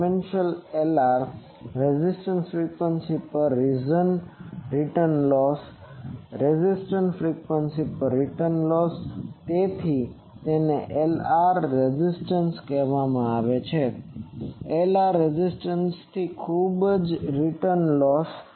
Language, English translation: Gujarati, Dimensionless Lr res return loss at the resonant frequency return loss at the resonant frequency that is why it is called Lr res and Lr far return loss far from the resonance